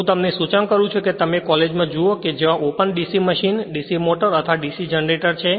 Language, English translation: Gujarati, You I suggest you see in your college that open DC machine, DC motor or DC generator